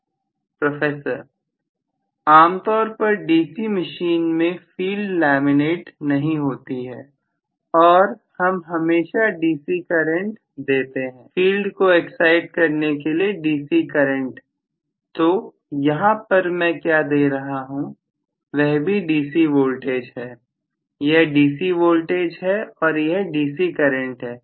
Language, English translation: Hindi, (())(33:04) Generally in DC machine we are not going to laminate the field and we are going to always give a DC current, DC current to excite the field, so what I am giving here is also a DC voltage, this is a DC voltage and this is a DC current